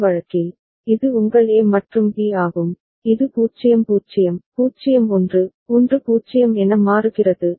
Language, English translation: Tamil, In this case, this is your A and B, which is changing as 0 0, 0 1, 1 0 right